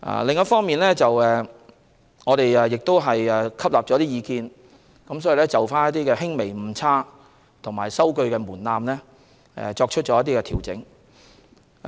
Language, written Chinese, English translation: Cantonese, 另一方面，我們亦吸納了一些意見，就選舉的輕微誤差數額及收據門檻作出調整。, In the meanwhile we have taken on board some suggestions by making adjustments to the limits for minor errors or omissions and the threshold for receipts